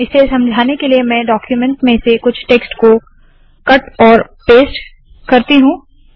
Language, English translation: Hindi, To explain this, let me cut and paste some text from the bottom of this document